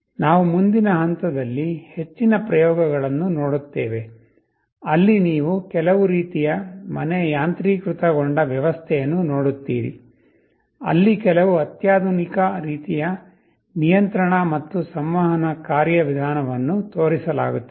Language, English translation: Kannada, We would look at more experiments later on, where you will see some kind of home automation system, where some more sophisticated kind of control and communication mechanism will be shown